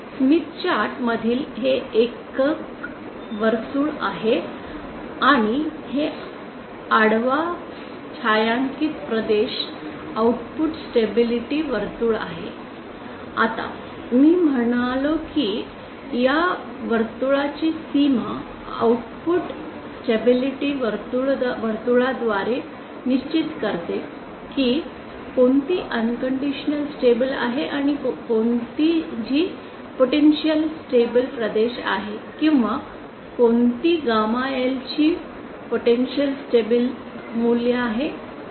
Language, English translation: Marathi, Now, I said that the boundary of outer circle the output stability circle determines which is the unconditionally stable and which is the which is the potentially unstable regions or potentially unstable values of gamma L